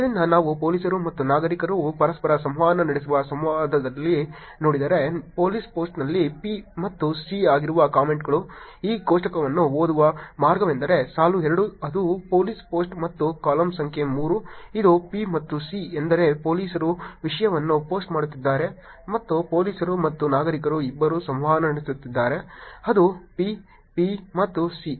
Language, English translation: Kannada, So, if we see the interactions where police and citizens are interacting, the comments which is P and C is when the police post, the way to read this table is row two which is the police post and the column number 3 which is P and C means that police is posting the content and the police and citizens both are interacting which is P, P and C